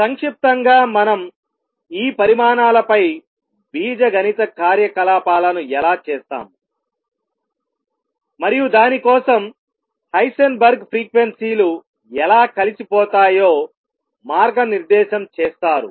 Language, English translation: Telugu, In short how do we perform algebraic operations on these quantities and for that Heisenberg was guided by how frequencies combine